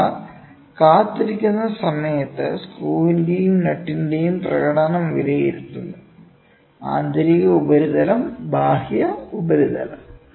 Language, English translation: Malayalam, So, that we evaluate the performance of screw and nut when they are in waiting; so internal surface, external surface